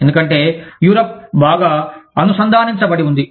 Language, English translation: Telugu, Because, Europe is so well connected